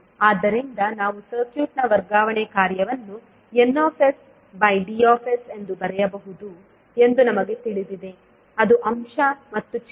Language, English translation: Kannada, So we know that we the transfer function of the circuit can be written as n s by d s that is numerator and denominator